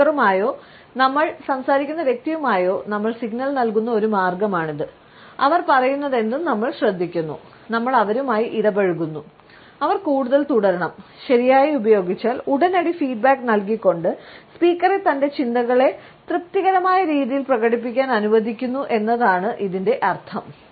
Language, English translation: Malayalam, This is one of the ways in which we signal to the speaker or the person we are talking to, that we are engaged in whatever they are saying, we are engaged with them and they should continue further and if used correctly, we find that it allows the speaker to fully express his or her thoughts in a satisfying manner, providing immediate feedback